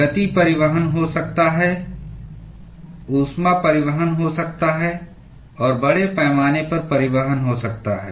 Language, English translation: Hindi, There can be momentum transport, there can be heat transport and there can be mass transport